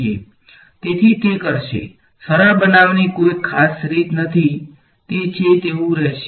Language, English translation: Gujarati, So, it will, there is no special way to simplified it will remain as it is ok